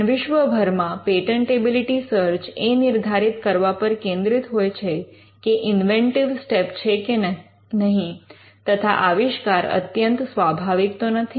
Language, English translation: Gujarati, But patentability searches throughout the world are directed in determining whether there is inventive step, or whether the invention is obvious or not